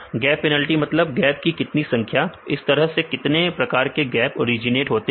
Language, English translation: Hindi, Gap penalty means number of how many number of gaps, this is how many types gap originates this is the how many number of gaps